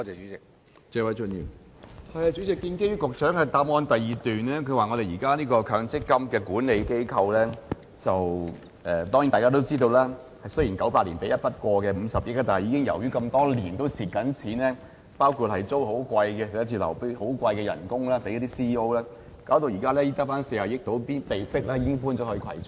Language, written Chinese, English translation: Cantonese, 主席，局長於主體答覆的第二部分，提到現時強積金的管理機構——當然，大家都知道積金局雖然在1998年獲得一筆過50億元的撥款，但由於多年來的虧蝕，包括租用昂貴的辦公室及向 CEO 支付高薪，導致撥款現時只餘下大約40億元，被迫遷往葵涌。, President in part 2 of the main reply the Secretary says that the existing regulatory and supervisory body of MPF schemes―Well we all know that MPFA was given a one - off funding allocation of 5 billion in 1998 . But it has been running into the red over the years partly due to its exorbitant office rental payments and CEO remuneration payments . As a result the current balance of its funding allocation is only about 4 billion and it is forced to move its office to Kwai Chung